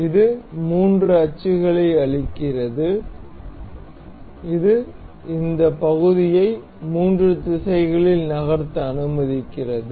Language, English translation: Tamil, This gives three axis that the that allows us to move this part in the three directions